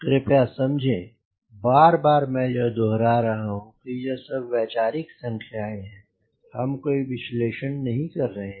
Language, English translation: Hindi, please understand again and again i am repeating: these are all conceptual numbers